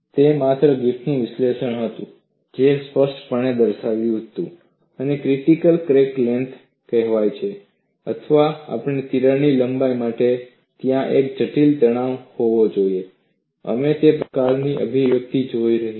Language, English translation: Gujarati, It was only Griffith’s analysis which categorically showed that, if there is something called a critical crack length or for a given crack length, there has to be a critical stress; we had looked at that kind of an expression